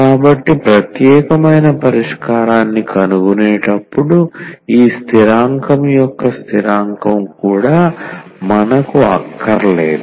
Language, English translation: Telugu, So, while finding the particular solution, we do not want this constant of integration also